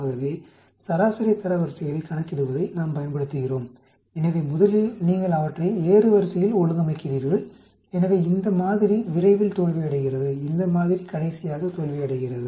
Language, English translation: Tamil, So we use calculate the median ranks, so you put them first of all you arrange them in the order of increasing, so this sample fails at the earliest, this sample fails at the last